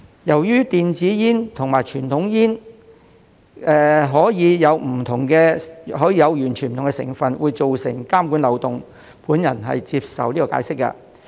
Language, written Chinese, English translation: Cantonese, 由於電子煙與傳統煙可以有完全不同的成分，會造成監管漏洞，我接受解釋。, Given that e - cigarettes and conventional cigarettes can have completely different ingredients which may give rise to loopholes in regulation I accept this explanation